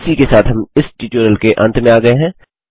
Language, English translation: Hindi, With this we come to an end of this tutorial